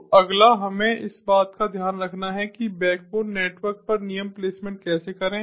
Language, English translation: Hindi, so next we have to take care of how to perform rule placement at the backbone network